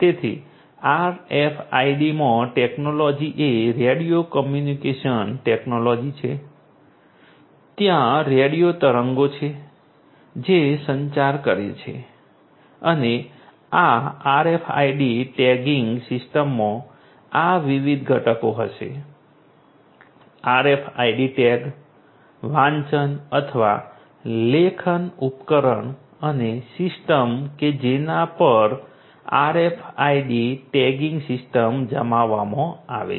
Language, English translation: Gujarati, So, in RFID the technology is radio communication technology, so there are radio waves that are communicating and this RFID tagging system will have these different components the RFID tag, the reading or the writing device and the system on which the RFID tagging system is deployed